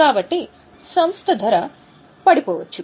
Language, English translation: Telugu, So, the price of the company may drop